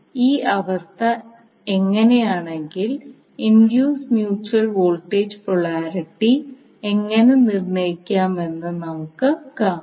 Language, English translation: Malayalam, So we will see how if this is the condition how we can determine the induced mutual voltage polarity